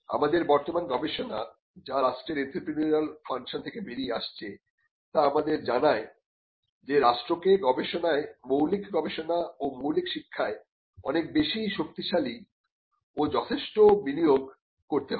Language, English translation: Bengali, Now, this kind of tells us the current research that is coming out on the entrepreneurial function of the state tells us that there has to be a much stronger and substantial investment into research, into basic research and basic education by the state